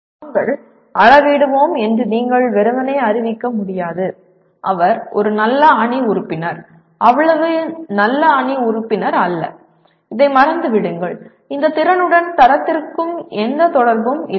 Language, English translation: Tamil, You cannot just merely announce that we will measure, he is a good team member, not so good team member and forget about this the grade has nothing to do with this ability